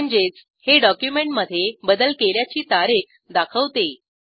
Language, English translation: Marathi, This means, it also shows the next edited date of the document